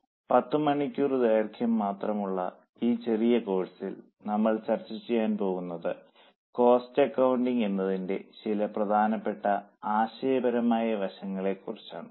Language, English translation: Malayalam, In this course, this is a short course just for 10 hours, we are going to discuss about certain important conceptual aspects as to what cost accounting is